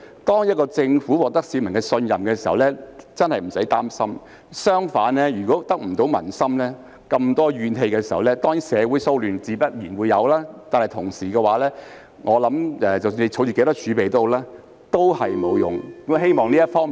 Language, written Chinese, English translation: Cantonese, 當一個政府得民心並獲得市民信任時，真的無須擔心；相反，如果得不到民心，令市民充滿怨氣，自然會有社會騷亂，這樣不管政府有多少儲備也沒有用。, When a government earns the support and trust of people it really has nothing to worry about . Conversely if a government fails to win the support of people and there is strong public resentment social disturbances will inevitably emerge . Under such circumstances it makes no difference if the Governments reserves are large or small